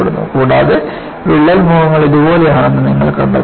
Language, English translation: Malayalam, And, you find the crack faces are like this